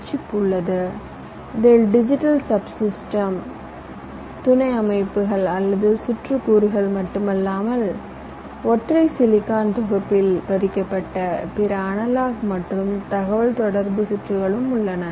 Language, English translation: Tamil, l s i chip which contains not only the digital sub systems or circuit components but also other analog and communication circuitry embedded in a single silicon package